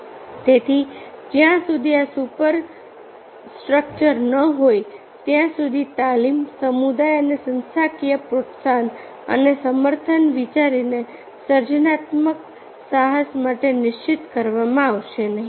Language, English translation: Gujarati, so, therefore, until and unless this superstructure is there, so training, community and organizational encouragement and support, the idea did not be for a creative venture, thank you